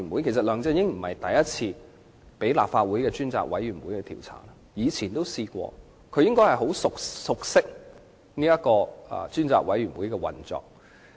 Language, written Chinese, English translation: Cantonese, 其實，梁振英並非第一次被立法會專責委員會調查，他應該很熟悉專責委員會的運作。, As a matter of fact this is not the first time LEUNG Chun - ying has been the subject of an inquiry by a select committee of the Legislative Council so he should be very familiar with the operation of a select committee